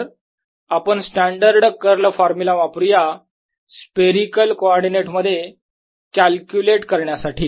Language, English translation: Marathi, so use the standard curl formula for calculating curl in spherical coordinates and that gives you the answer